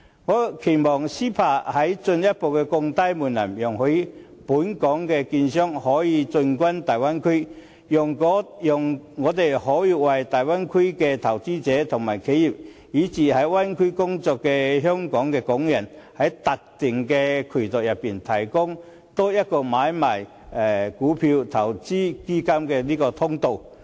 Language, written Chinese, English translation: Cantonese, 我期望 CEPA 能進一步降低門檻，容許本港的券商可以進軍大灣區，讓他們可以為大灣區的投資者和企業，以至在灣區內工作的香港人，除了在特定的渠道外，提供多一項買賣股票，投資基金的通道。, I hope that the relevant thresholds under the Mainland and Hong Kong Closer Economic Partnership Arrangement can be further lowered so that Hong Kong securities dealers can also access the Bay Area and provide the investors enterprises and even the Hong Kong people working over there with an alternative for stocks and funds investment in addition to the specific channel